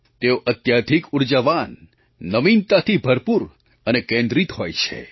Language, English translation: Gujarati, They are extremely energetic, innovative and focused